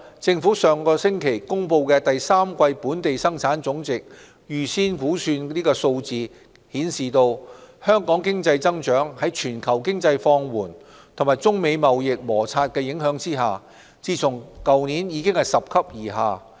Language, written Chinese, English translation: Cantonese, 政府上星期公布的第三季本地生產總值預先估算數字顯示，香港經濟增長在全球經濟放緩和中美貿易摩擦的影響下，自去年起已拾級而下。, According to advanced estimates of third - quarter Gross Domestic Products GDP figures released by the Government last week Hong Kongs economic growth has moderated progressively since last year amid a slowdown in the global economy and China - United States trade tensions